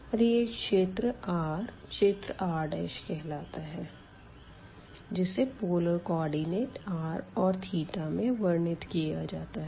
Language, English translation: Hindi, And this region now this r will be r prime will be described in terms of the polar coordinates r and theta